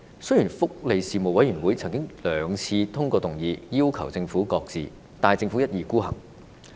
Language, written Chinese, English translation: Cantonese, 雖然福利事務委員會曾經兩次通過議案，要求政府擱置，但政府一意孤行。, Although the Panel on Welfare Services has twice passed a motion calling on the Government to shelve the proposal the Government is hell - bent on having its own way